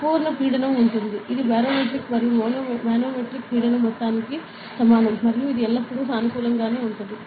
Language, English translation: Telugu, So, there is an absolute pressure, that is equivalent to sum of barometric and manometric pressure and which will always be positive ok